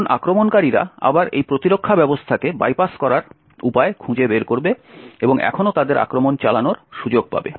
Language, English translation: Bengali, Now the attackers again would find a way to bypass this defense mechanisms and still get their attack to run